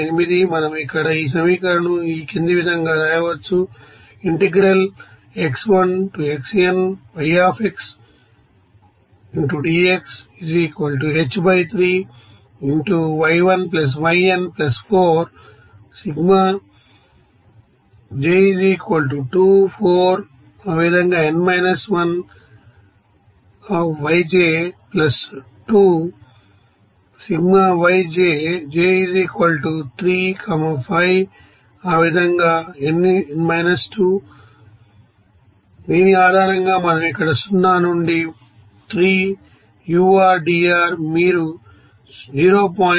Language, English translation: Telugu, 428 and here So, based on this we can write here 0 to 3 ur dr